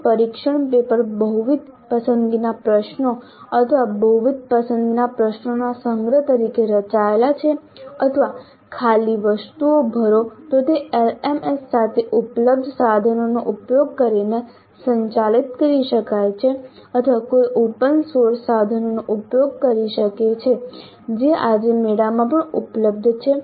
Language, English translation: Gujarati, If the test paper is designed as a collection of multiple choice questions or multiple select questions or fill in the blank items, then that can be administered using a tool available with LMS or one could also use open source tools which are also available today in fair variety